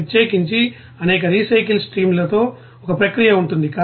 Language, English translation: Telugu, Especially in a process with many recycled streams will be there